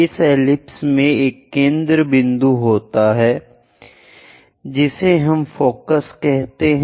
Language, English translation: Hindi, In this ellipse, there is a focal point which we are calling focus